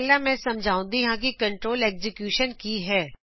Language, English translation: Punjabi, Let me first explain about what is control execution